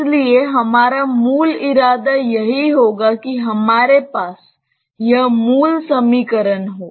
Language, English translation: Hindi, So, our basic intention will be that we have this basic equation